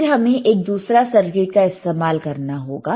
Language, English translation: Hindi, Then we have to use another equip another circuit, right